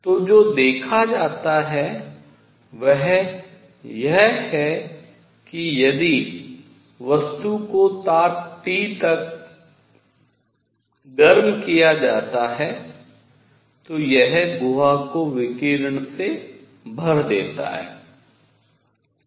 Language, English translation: Hindi, So, what is seen is that if the body is heated to a temperature T, it fills the cavity with radiation